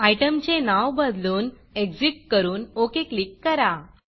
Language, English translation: Marathi, Rename the item to Exit and click on OK